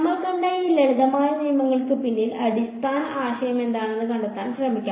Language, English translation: Malayalam, Let us try to find out what is the underlying idea behind these simple rules that we have seen